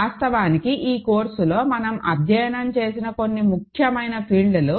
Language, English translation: Telugu, Which is actually, some of the most important fields that we studied in this course